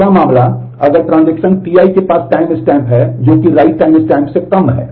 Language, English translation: Hindi, Second case if the transaction T i has a timestamp which is less than the write timestamp